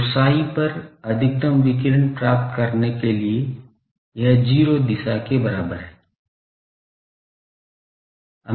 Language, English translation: Hindi, So, to get maximum radiation at psi is equal to 0 direction